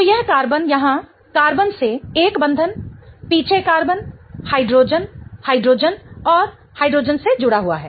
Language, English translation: Hindi, So, this carbon here is attached to one bond to the carbon, the back carbon, the hydrogen, hydrogen and hydrogen, right